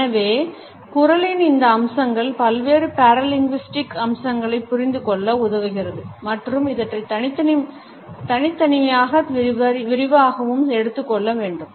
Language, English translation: Tamil, So, these aspects of voice are important in order to understand different paralinguistic features and would be taken up in detail individually